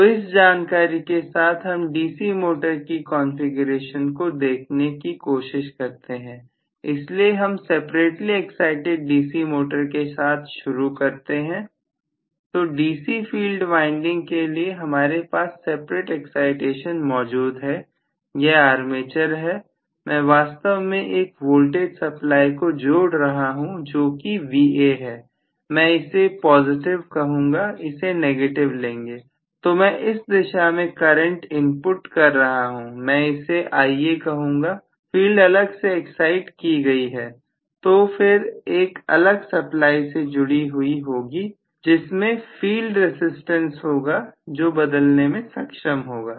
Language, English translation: Hindi, So, let us now try to with this background let us try to look at the DC motor configuration, so let me start out with separately excited DC motor, so I have a separate excitation for the DC field winding, so this is going to be my armature I am actually connecting a voltage supply which is Va let me probably say this as positive this as negative, so I am inputting a current in this direction let me call this as Ia the field is separately excited, so I am going to have the field connected to a separate source probably with a field resistance as well which is a variable resistance